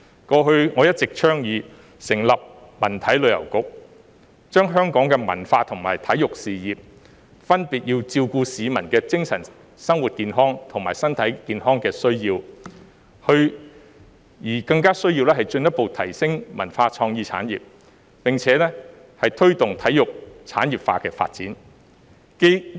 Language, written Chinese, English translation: Cantonese, 過去我一直倡議成立文體旅遊局，除了發展香港的文化和體育事業，照顧市民的精神生活健康和身體健康的需要外，更需要進一步提升文化創意產業，並且推動體育產業化發展。, Over the past period of time I have been advocating the establishment of a culture sports and tourism bureau . Apart from taking care of the mental health and physical health of the public we also need to further enhance the cultural and creative industries as well as to promote the development of the sports industry